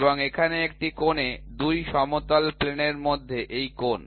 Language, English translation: Bengali, And, here this angle between 2 flat planes at an angle